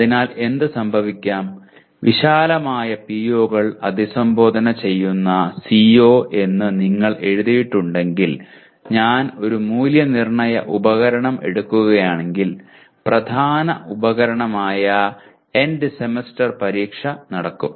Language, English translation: Malayalam, So what can happen is if whatever you have written as CO addressing a wide range of POs then if I take the Assessment Instrument which happens to be the main instrument happens to be End Semester Examination